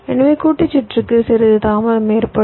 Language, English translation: Tamil, so combination circuit will be having some delay